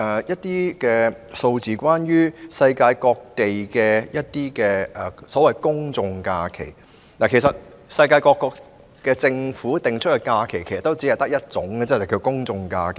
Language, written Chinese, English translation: Cantonese, 有關世界各地的公眾假期，其實，世界各國政府訂立的假期只有一種，便是公眾假期。, Regarding general holidays around the world there is actually only one type of holiday designated by the governments around the world ie . public holidays